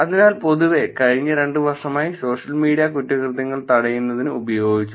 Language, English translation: Malayalam, So, in general, actually in the last two years or so social media has been used for crime prevention